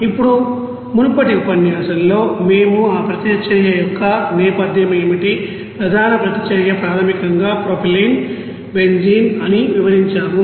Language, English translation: Telugu, Now, in the previous lecture we have described that you know what is the background of that reaction main reaction is basically propylene, benzene